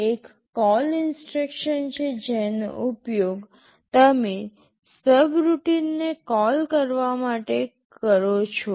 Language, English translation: Gujarati, There is a CALL instruction that you use to call a subroutine